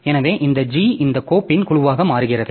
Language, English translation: Tamil, So, this G becomes the group of this file